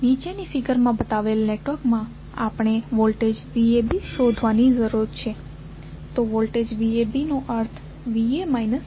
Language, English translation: Gujarati, For the network shown in the figure below we need to determine the voltage V AB, so voltage V AB means V A minus V B